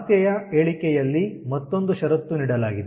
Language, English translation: Kannada, there is another condition given in the statement of the problem